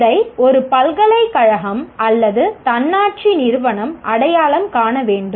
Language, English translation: Tamil, It is a university or the autonomous institution will have to identify